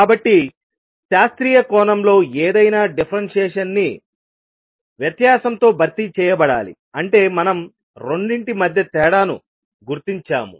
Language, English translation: Telugu, So, any differentiation in classical sense must be replaced by difference that is how we distinguish between the 2